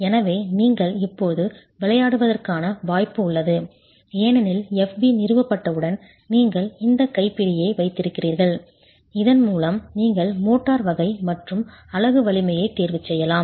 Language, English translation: Tamil, So, you have the possibility of now playing around because with SB established you have this handle with which you will choose the motor type and the unit strength